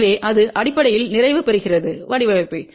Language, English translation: Tamil, So, that basically completes the design ok